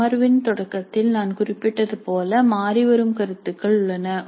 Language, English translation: Tamil, And as I mentioned at the start of the session, there are changing views